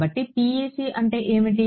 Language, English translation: Telugu, So, what is the PEC